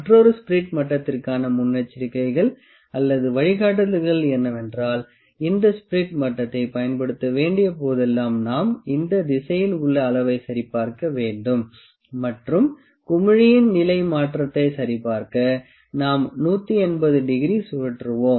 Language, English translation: Tamil, Another precautions or guidelines for spirit level is that whenever we need to use this spirit level, we can check the level in this direction, and also we turn it 180 degree to check if that position of the bubble changes